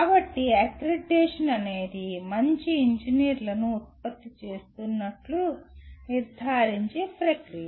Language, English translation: Telugu, So, accreditation is a process of ensuring that good engineers are being produced